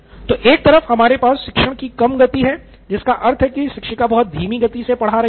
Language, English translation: Hindi, So we have a low pace of teaching which means she is going very slow